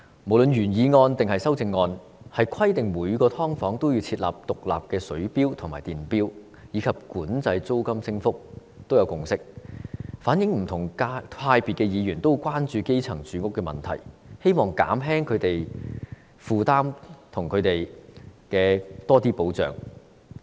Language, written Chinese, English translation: Cantonese, 無論是原議案或修正案，對於規定每間"劏房"要設置獨立水錶和電錶，以及管制租金升幅，均有共識，反映不同派別的議員均十分關注基層的住屋問題，希望減輕他們的負擔，並為他們提供更多保障。, Be it the original motion or the amendments there is a consensus on requiring every subdivided unit to be installed with separate water and electricity meters and controlling rental increases . It shows that Members of different political affiliations are very concerned about the housing problem of the grass roots . They wish to alleviate their burden and provide them with more protection